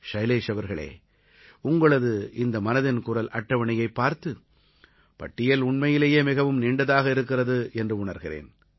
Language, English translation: Tamil, Shailesh ji, you must have realized after going through this Mann Ki Baat Charter that the list is indeed long